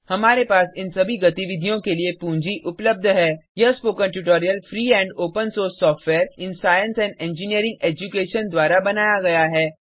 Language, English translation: Hindi, We have funding for all these activities This spoken tutorial has been created by the Free and Open Source Software in Science and Engineering Education